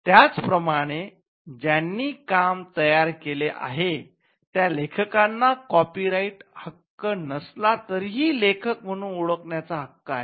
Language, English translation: Marathi, Similarly, and author who creates the work has a right to be recognised as the author even if he is not the copyright owner